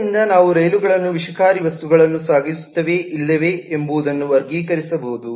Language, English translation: Kannada, so we can classify the trains according to, for example, whether or not they carry toxic goods